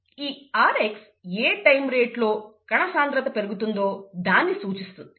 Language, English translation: Telugu, The rx is nothing but the time rate at which the cell concentration increases, okay